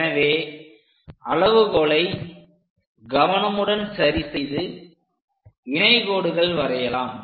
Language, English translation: Tamil, So, adjust the scale carefully and draw a parallel line